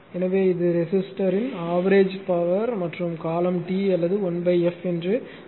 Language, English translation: Tamil, So, and it is your what you call that power your average power of the resistor and the period T or 1 or 1 1 upon f